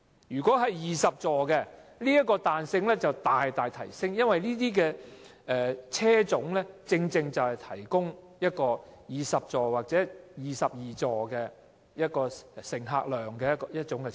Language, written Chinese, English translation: Cantonese, 如果有20個座位的小巴，這個彈性更會大大提升，因為這類車種能夠提供20座或22座的載客量。, If there are 20 seats in light buses the flexibility will be greatly enhanced because such models have a seating capacity of 20 to 22